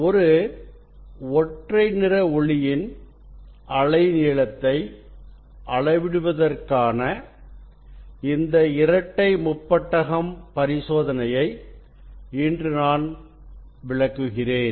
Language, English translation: Tamil, today I will demonstrate this Bi Prism experiment for measuring the wavelength of a monochromatic light